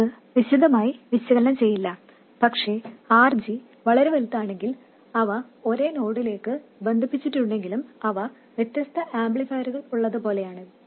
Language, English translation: Malayalam, We won't analyze that in detail, but if RG is very large, it is like having separate amplifiers, although they are connected to the same node